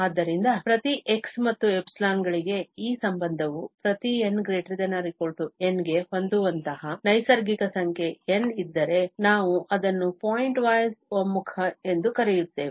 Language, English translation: Kannada, So, if for each x and epsilon, there is a natural number N such that this relation holds for each n greater than or equal to N, then we call that it is a pointwise convergence